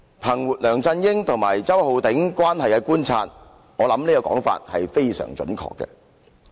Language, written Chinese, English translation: Cantonese, "憑着我對梁振英與周浩鼎議員的關係的觀察，我認為他的說法非常準確。, Based on my observation of the relationships between LEUNG Chun - ying and Mr Holden CHOW I think his remarks are very accurate